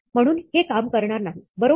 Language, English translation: Marathi, So, this does not work, right